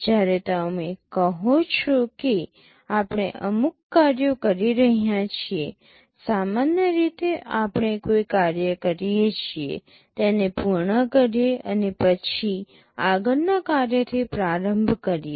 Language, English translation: Gujarati, When you say we are caring out certain tasks, normally we do a task, complete it and then start with the next task